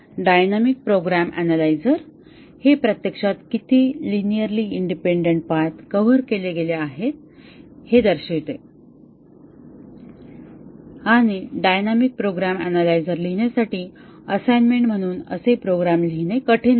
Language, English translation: Marathi, The dynamic program analyzer actually displays how many linearly independent paths have been covered and it is not hard to write such a program actually would like to give it as an assignment to write a dynamic program analyzer